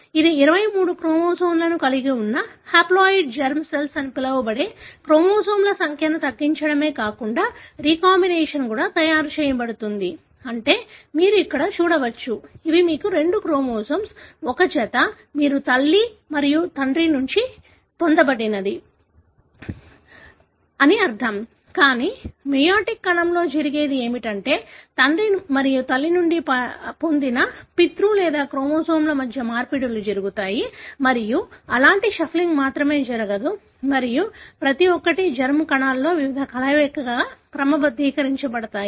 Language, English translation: Telugu, It not only reduces the number of chromosomes making what is called as haploid germ cells, having 23 chromosomes, but it also helps in the recombination, meaning as you can see here, these are the cells wherein you have the two chromosome, one pair, meaning the one that you got from mother and father, but in the meiotic cell what happens is that there are exchanges that take place between the paternal or the chromosome derived from father and mother and not only such kind of shuffling takes place and each of this are sorted into different combinations in the germ cells